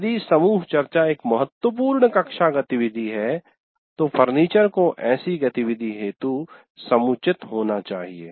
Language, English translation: Hindi, If group discussions constitute a significant classroom activity, the furniture should permit such an activity